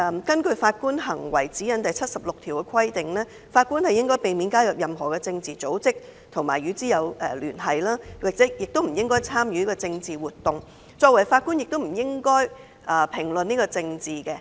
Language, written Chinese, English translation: Cantonese, 根據《法官行為指引》第76段規定，"法官應避免加入任何政治組織，或與之有聯繫，或參與政治活動"，而作為法官亦不應評論政治。, It is stipulated in paragraph 76 of the Guide to Judicial Conduct that Judges should refrain from membership in or association with political organizations or activities and Judges should not make comments on politics